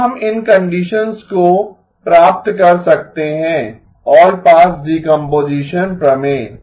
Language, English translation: Hindi, When can we achieve these conditions, allpass decomposition theorem